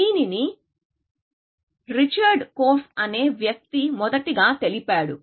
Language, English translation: Telugu, It was given by a guy called Richard Korf